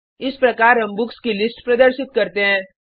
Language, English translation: Hindi, This is how we display the list of books